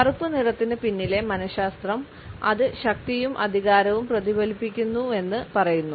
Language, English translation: Malayalam, The psychology behind the color black says that it reflects power and authority